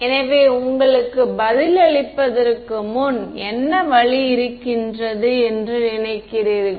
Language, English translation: Tamil, So, before giving you the answer what do you think is the way